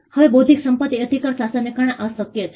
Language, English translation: Gujarati, Now, this is possible because of the intellectual property right regime